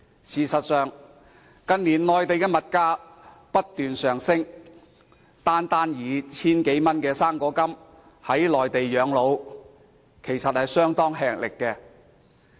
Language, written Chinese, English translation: Cantonese, 事實上，近年內地物價不斷上升，單靠 1,000 多元的"生果金"在內地養老，其實相當吃力。, As a matter of fact the prices of goods have been on the rise in the Mainland in recent years making it fairly difficult for the elderly to live on the fruit grant of 1,000 - odd in the Mainland